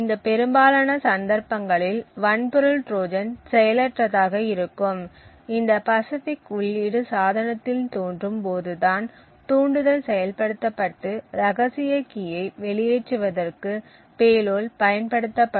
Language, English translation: Tamil, Therefore, in most of these cases this hardware Trojan is going to be passive, it is only when this pacific input appears to the device would the trigger be activated and the payload be used to leak out the secret key